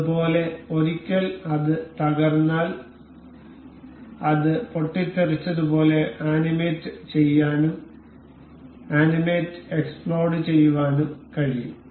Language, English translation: Malayalam, Similarly, in case once it is collapsed, we can also animate it as exploded, animate explode